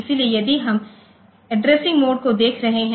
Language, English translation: Hindi, So, if we are looking into addressing modes